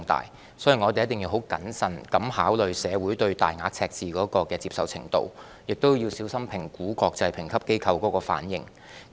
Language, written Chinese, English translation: Cantonese, 因此，我們一定要十分謹慎考慮社會對大額赤字的接受程度，亦要小心評估國際評級機構的反應。, Therefore we should carefully consider public acceptance of a large deficit and assess the reaction of international rating agencies